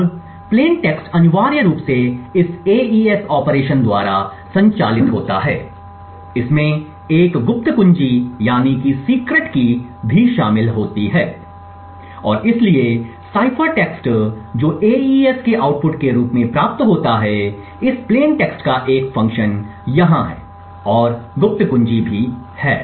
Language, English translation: Hindi, Now the plain text essentially is operated on by this AES operation, there is a secret key that is also involved and therefore the cipher text which is obtained as the output of AES is a function of this plain text over here and the secret key